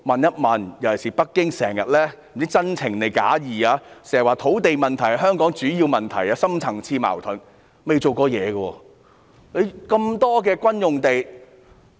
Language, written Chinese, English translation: Cantonese, 北京不知是出於真情還是假意，經常指土地問題是香港的主要問題和深層次矛盾，但卻未曾做過任何工作。, I do not know if Beijing is sincere or pretentious in expressing its concern . It often says that the land issue is a major problem in Hong Kong causing deep - rooted conflicts but it has not done anything about it